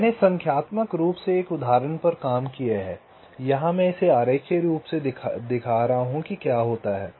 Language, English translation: Hindi, let us see with the help of an example so i have worked out an example numerically, but here i am showing it diagrammatically what happens